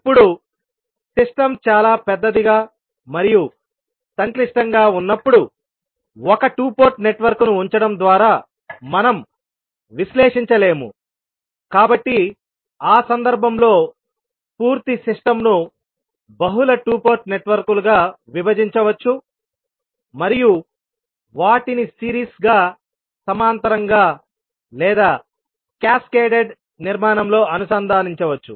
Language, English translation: Telugu, Now, when the system is very large and complex, we cannot analyse simply by putting one two port network, so in that case it is required that the complete system can be subdivided into multiple two port networks and those can be connected either in series, parallel or maybe in cascaded formation